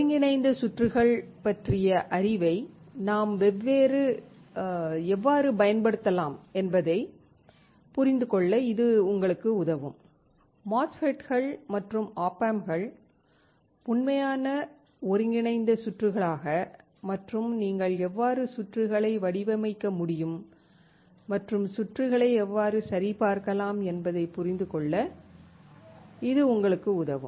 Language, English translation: Tamil, This will help you to understand how we can apply the knowledge of integrated circuits: MOSFETs and op amps into actual kind of circuits and how you can really design the circuits, and how you can check the circuits